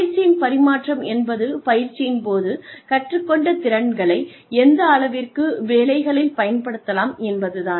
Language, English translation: Tamil, Transfer of training is, the extent to which, competencies learnt in training, can be applied on the jobs